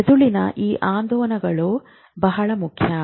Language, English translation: Kannada, Brain oscillations are very important